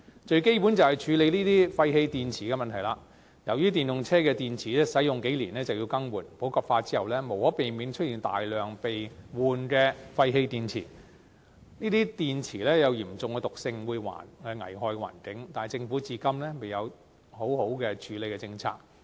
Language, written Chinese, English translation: Cantonese, 最基本的是處理廢棄電池的問題，由於電動車的電池使用數年便要更換，普及化之後無可避免會出現大量被更換的廢棄電池，這些電池有嚴重的毒性，會危害環境，但政府至今仍未有完善的處理政策。, The most basic one is the disposal problem for waste batteries . As the batteries for EVs have to be replaced after using for several years the popularization will inevitably lead to the presence of huge amount of discarded batteries that were being replaced . These batteries contain heavy toxins that will harm the environment but the Government still fails to come up with good disposal policies